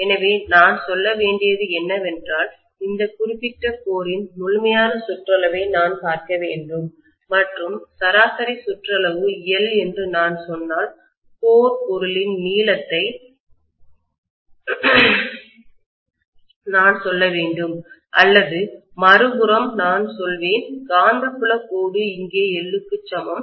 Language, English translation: Tamil, So that means I have to say, probably I have to look at the complete circumference of this particular core and if I say the average circumference is L, so I should say length of the core material or I would say on the other hand it is the magnetic field line is equal to L here